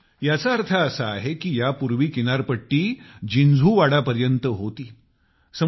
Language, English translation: Marathi, That means, earlier the coastline was up to Jinjhuwada